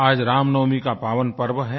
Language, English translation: Hindi, Today is the holy day of Ram Navami